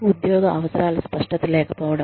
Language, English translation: Telugu, Lack of clarity of job requirements